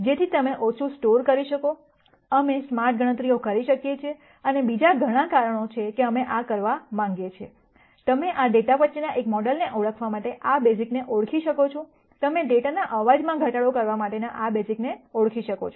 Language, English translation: Gujarati, So that you can store less, we can do smarter computations and there are many other reasons why we will want to do this, you can identify this basis to identify a model between this data, you can identify a basis to do noise reduction in the data and so on